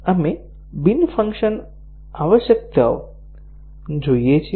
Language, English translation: Gujarati, So, we look at the non functional requirements